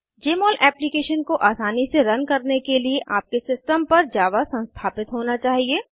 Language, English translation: Hindi, For Jmol Application to run smoothly, you should have Java installed on your system